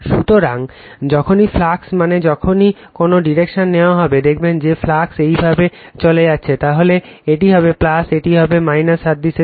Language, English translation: Bengali, So, whenever flux I mean whenever you take in a direction, you see that flux is leaving like this, then this will be your plus, this is minus for analogous